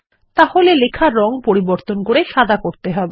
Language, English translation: Bengali, So let us change the color of the text to white